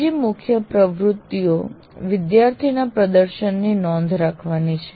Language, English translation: Gujarati, And another major activity is to keep track of students' performance